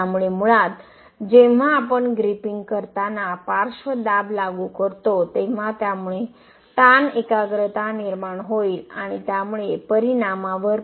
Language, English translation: Marathi, So basically when we apply lateral pressure while gripping that will induce stress concentration and that may affect the result